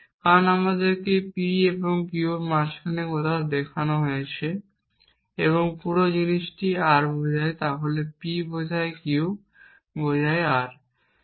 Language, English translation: Bengali, Because we are also shown somewhere in between if we have P and Q and the whole thing implies R then P implies Q implies R